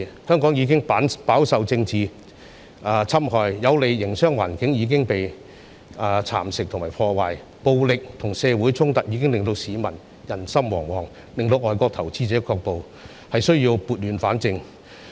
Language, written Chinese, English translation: Cantonese, 香港已飽受政治侵害，有利的營商環境已遭蠶食和破壞，暴力和社會衝突令市民人心惶惶，令外國投資者卻步，有需要撥亂反正。, Hong Kong has already suffered much from politics . The favourable business environment has been eroded and ruined . Violence and social conflicts have caused anxieties among the public and discouraged foreign investors